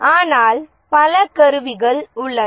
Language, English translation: Tamil, And of course there are many other tools that are available